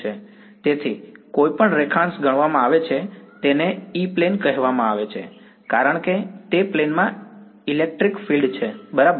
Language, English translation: Gujarati, So, any longitude is considered is called the E plane because the electric field is sort of in that plane so right